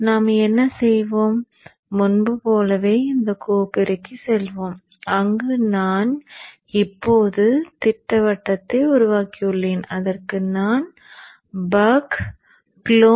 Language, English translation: Tamil, So what we will do like before we will go to this folder where I have now created the schematic and I'm naming it as a buck close